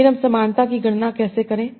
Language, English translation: Hindi, So then how do I compute the similarity